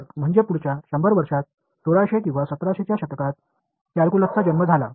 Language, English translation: Marathi, So, that in the next 100 years about 1600 or 1700s it was the birth of calculus right